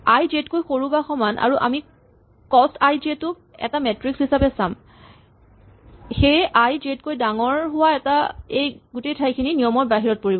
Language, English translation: Assamese, So, i is less than or equal to j, and we look at cost i j as a kind of matrix then this whole area where i is greater than j is ruled out